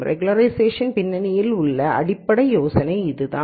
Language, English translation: Tamil, So, that is the basic idea behind regularization